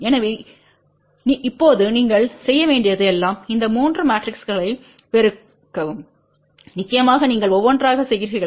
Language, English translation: Tamil, So, now, all you have to do it is multiply these 3 matrices of course, you do one by one